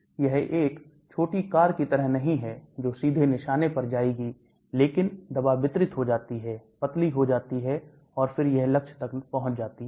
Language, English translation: Hindi, It is not like a small car which will just go directly to the target, but the drug gets distributed, get diluted and then it reaches the target